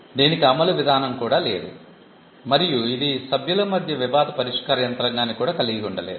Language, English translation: Telugu, It did not have enforcement mechanism; and it also did not have dispute settlement mechanism between the members